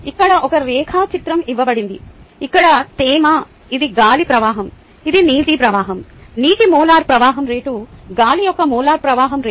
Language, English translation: Telugu, this is the air flow, this is the water flow, the molar flow rate of water, the molar flow rate of air